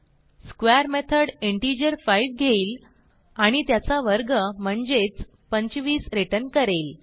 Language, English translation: Marathi, The square method takes an integer 5 and returns the square of the integer i.e